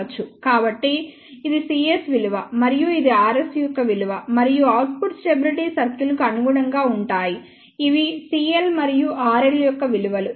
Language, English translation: Telugu, So, this is the value c s and this is the value of r s and corresponding to the output stability circle these are the values of c l and r l